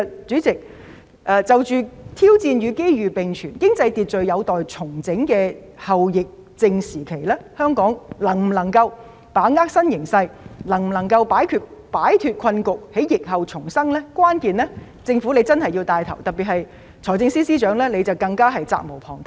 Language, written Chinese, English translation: Cantonese, 主席，在挑戰與機遇並存，經濟秩序有待重整的後疫症時期，香港是否能夠把握新形勢、擺脫困局，在疫後重生，關鍵在於政府一定要作牽頭，財政司司長更是責無旁貸。, President in the post - epidemic period when challenges and opportunities co - exist and the economic order needs to be reset whether Hong Kong can grasp the new situation get out of the predicament and rejuvenate again after the epidemic hinges on the leadership of the Government and the Financial Secretary has unshirkable responsibilities